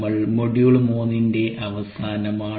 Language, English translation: Malayalam, we are towards the end of module three